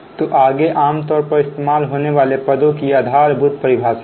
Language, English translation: Hindi, next is basic definitions of commonly used terms, right